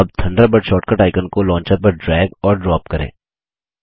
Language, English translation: Hindi, Lets drag and drop the Thunderbird short cut icon on to the Launcher